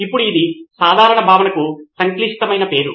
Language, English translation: Telugu, Now it is a complicated name for a simple concept